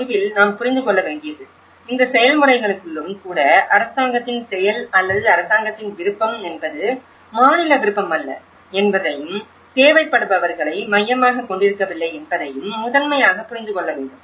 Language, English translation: Tamil, At the end, what we have to understand is even within this process, the government act or the government will is not the state will is not focusing on the needy, that is one thing would have to primarily understand